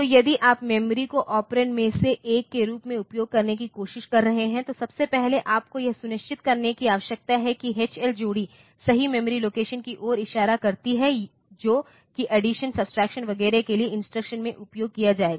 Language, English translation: Hindi, So, if you are trying to use the memory as one of the operand, then a first of all you need to ensure that the H L pair points to the correct memory location which will be used in the instruction for the addition subtraction etcetera